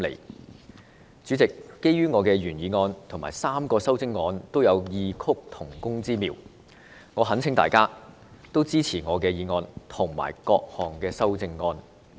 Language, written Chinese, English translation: Cantonese, 代理主席，基於我的原議案及3項修正案都有異曲同工之妙，我懇請大家支持我的議案及各項修正案。, Deputy President given that my original motion and the three amendments are of the same effect I earnestly urge Members to support my motion and the amendments